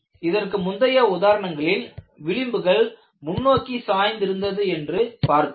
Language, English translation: Tamil, In the earlier examples, we saw the fringes were tilted forward